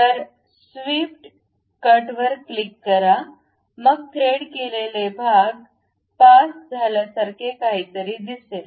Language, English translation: Marathi, So, click swept cut then we will see something like a threaded portion passes